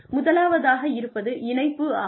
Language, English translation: Tamil, The first one is relevance